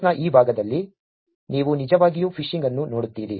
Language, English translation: Kannada, In this part of the course you will actually look at phishing